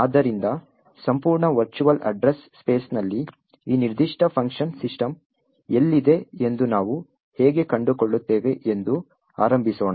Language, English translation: Kannada, So, let us start with how we find out where in the entire virtual address space is this particular function system present